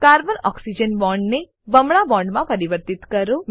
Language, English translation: Gujarati, Convert Carbon Oxygen bond to a double bond